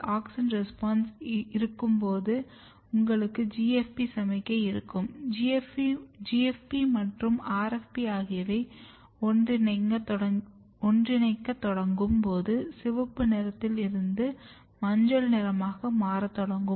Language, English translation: Tamil, When there is auxin responses then you will have GFP signal and when GFP and RFP will start merging the color will start changing from red to the yellow side